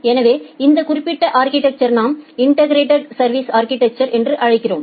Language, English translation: Tamil, So, this particular architecture we call it as integrated service architecture